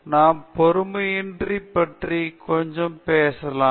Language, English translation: Tamil, May be we will talk of patience also a little bit